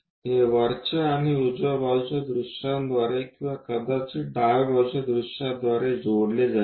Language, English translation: Marathi, That will be connected by top and right side views or perhaps left side views